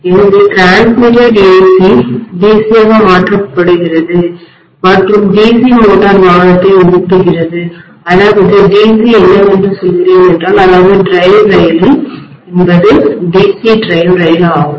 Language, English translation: Tamil, So that is AC transmitted converted into DC and the DC motor is driving the vehicle that is what I mean by DC, basically the drive train is DC drive train basically, right